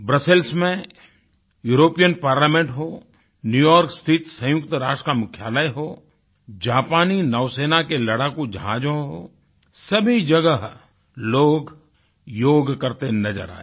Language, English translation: Hindi, In the European Parliament in Brussels, at the UN headquarters in New York, on Japanese naval warships, there were sights of people performing yoga